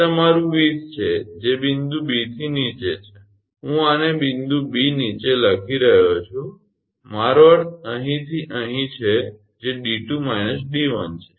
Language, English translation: Gujarati, That is your 20 that is below point B I am writing this below point B I mean from here to here that is d 2 minus d 1